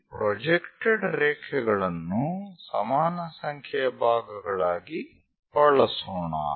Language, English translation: Kannada, Let us use this projected line into equal number of parts